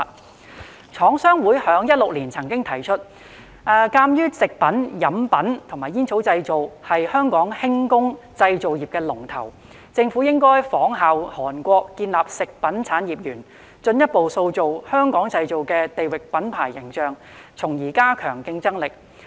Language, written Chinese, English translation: Cantonese, 香港廠商會曾於2016年提出，鑒於"食品、飲品及煙草製品"是香港輕工製造業"龍頭"，政府應仿效韓國建立食品產業園，進一步塑造"香港製造"的地域品牌形象，從而加強競爭力。, Given that food beverage and tobacco is the leader of Hong Kongs light manufacturing industry the Chinese Manufacturers Association of Hong Kong proposed in 2016 that the Government follow the example of Korea to establish a food industry park so as to further develop the regional brand image of Made in Hong Kong thereby enhancing competitiveness